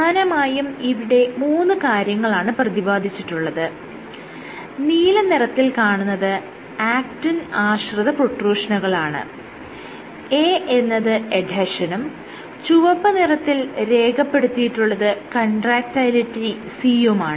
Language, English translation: Malayalam, So, you have 3 things blue is protrusion actin dependent, A is adhesion, and what I have depicted here in red is C or contractility